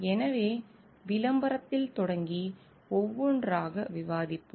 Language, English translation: Tamil, So, we will discuss each one by one starting with advertising